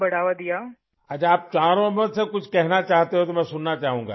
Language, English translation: Urdu, Well, if all four of you want to say something to me, I would like to hear it